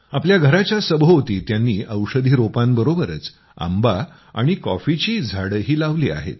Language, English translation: Marathi, Along with medicinal plants, he has also planted mango and coffee trees around his house